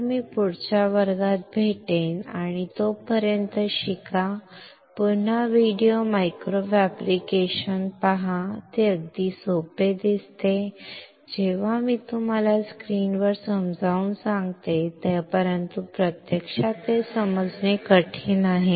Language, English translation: Marathi, So I will see you in the next class, and till then learn, again look at the video micro fabrication, it looks very simple; when I am explaining you on the on the screen, but in reality it is difficult to understand